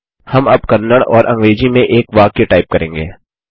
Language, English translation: Hindi, We will now type a sentence in Kannada and English